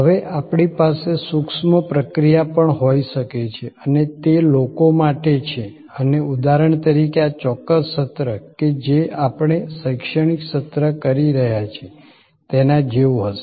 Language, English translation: Gujarati, Now, we can have also intangible actions and meant for people and that will be like for example, this particular session that we are having an educational session